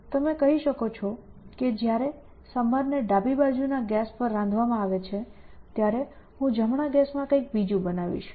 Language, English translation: Gujarati, So, you can say that while my sambhar is being cooked on the left side gas, I will make something else in the right hand gas